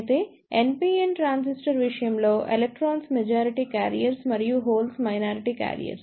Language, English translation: Telugu, However, in case of NPN transistors, electrons are the majority carriers and holes are the minority carriers